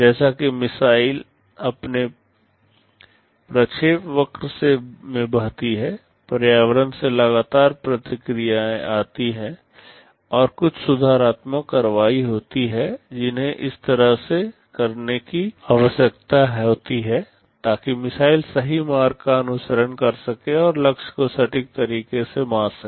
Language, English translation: Hindi, As the missile flows in its trajectory, there is continuous feedback from the environment and there are some corrective actions that need to be taken such that the missile can follow the correct path and hit the target in a precise way